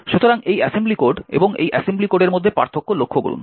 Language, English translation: Bengali, So, notice the difference between this assembly code and this assembly code